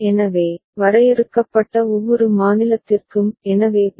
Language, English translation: Tamil, So, for every state that has been defined; so Bn An